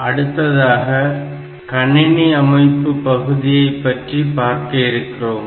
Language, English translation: Tamil, Next we will start with the basic computer organization part